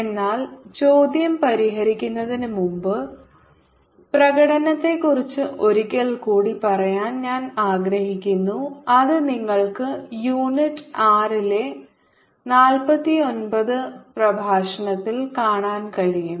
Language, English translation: Malayalam, but, ah, before i solve the question, i would like to tell you about the demonstration one second which you can see in administration lecture four nine in unit six